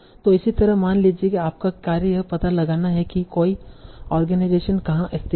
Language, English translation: Hindi, So similarly, suppose your task is to find out where is an organization located